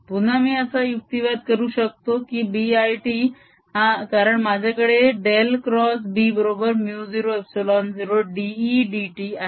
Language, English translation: Marathi, again, i can now argue that b one t, because i have dell cross b is equal to mu zero, epsilon zero d, e zero d t